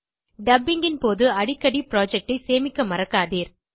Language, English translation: Tamil, Remember to save the project often during the dubbing